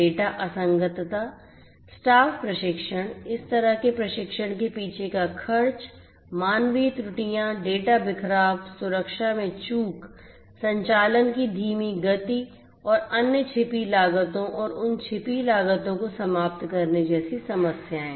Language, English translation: Hindi, Problem such as data inconsistency, staff training, the expenses behind this kind of training, human errors, data scattering, lapse in security, slowing of operations and other hidden costs and incurring those hidden costs